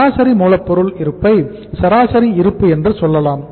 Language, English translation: Tamil, Average stock of raw material is say average stock